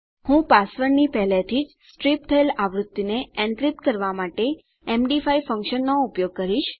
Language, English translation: Gujarati, I will use the md5 Function to encrypt the already striped version of my password